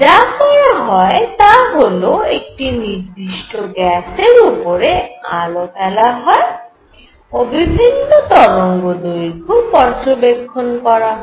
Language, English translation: Bengali, So, what one would do is shine light on gas and see different wavelengths